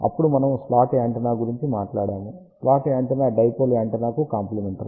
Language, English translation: Telugu, Then we talked about slot antenna, slot antenna is complementary of the dipole antenna